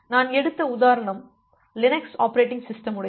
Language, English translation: Tamil, So, the example that I have taken is from the Linux operating system